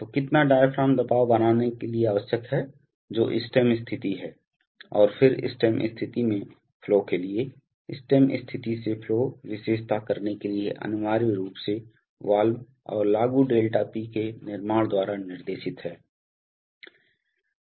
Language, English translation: Hindi, So how much diaphragm pressure is required to create what is stem position, and then stem position to flow, stem position to flow characteristic is essentially guided by the construction of the valve and the applied ΔP